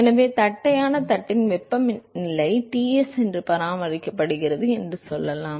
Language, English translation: Tamil, So, let us say that the temperatures of flat plate is maintained that Ts